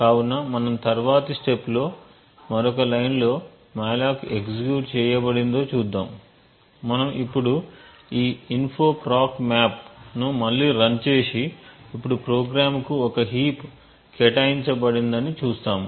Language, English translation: Telugu, So we will single step to another line and see that the malloc has actually been executed, we can now run this info proc map again and we would see that a heap has now been assigned to the program